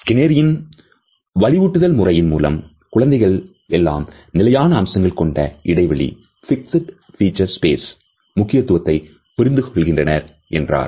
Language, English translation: Tamil, So, it is through this Skinnerian reinforcement procedure to which as young children all of us are exposed to our understanding of the significance of fixed feature space is internalized